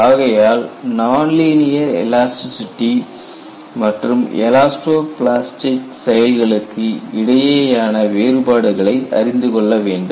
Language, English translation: Tamil, So, we will have to understand, what is the difference between non linear elasticity and elasto plastic behavior